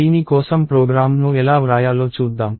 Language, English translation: Telugu, So, let us see how to write a program for this